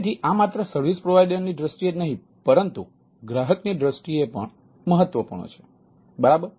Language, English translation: Gujarati, so it is important not only from the service provider point of view, it is also important for the service consumer point of view